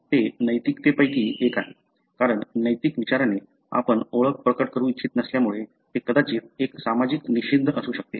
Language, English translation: Marathi, This is one of the ethics, because ethical consideration, because you do not want to reveal the identity, it may be, you know, a social taboo